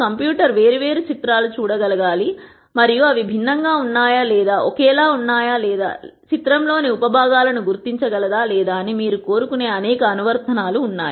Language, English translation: Telugu, There are many many ap plications where you want the computer to be able to look at di erent pictures and then see whether they are di erent or the same or identify sub components in the picture and so on